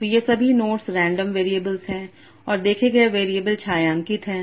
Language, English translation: Hindi, So all these nodes are random variables and observed variables are shaded